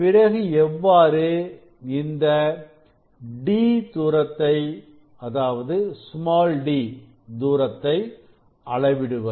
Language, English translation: Tamil, actually we have measured d 1 and d 2